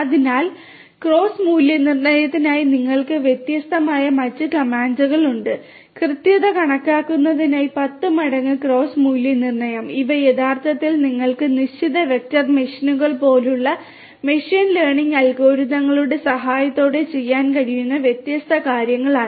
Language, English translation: Malayalam, So, then you have different other comments for cross validation 10 fold cross validation for estimation of accuracy these are actually different things that you can do with the help of you know machine learning algorithms such as support fixed vector machines and so on